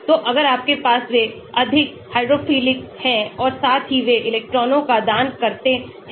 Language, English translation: Hindi, So, if you have they are more hydrophilic as well as they donate the electrons